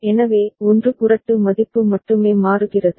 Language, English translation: Tamil, So, only 1 flip value changes